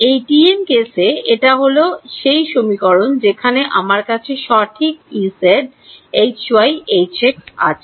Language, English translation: Bengali, In TM case, this is this is the equation that I had the right E z H x H y